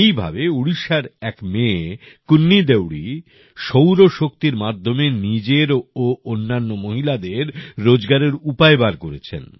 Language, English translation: Bengali, Similarly, KunniDeori, a daughter from Odisha, is making solar energy a medium of employment for her as well as for other women